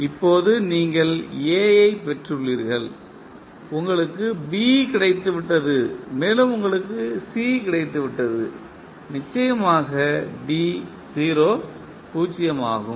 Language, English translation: Tamil, Now, you have got A, you have got B and you have got C of course D is 0